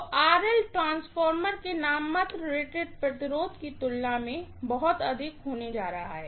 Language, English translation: Hindi, So, RL is going to be much much higher than the nominal rated resistance of the transformer